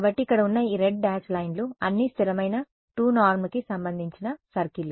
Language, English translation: Telugu, So, these red dash lines over here these are all circles of constant 2 norm right